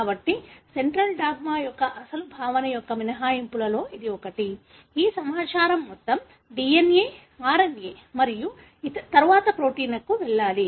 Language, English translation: Telugu, So, this is obviously one of the exceptions of the original concept of Central Dogma, that all this information has to go from DNA, RNA and then to protein